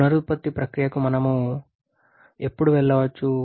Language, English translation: Telugu, When we can go for regeneration process